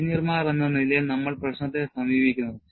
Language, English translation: Malayalam, As engineers, we approach the problem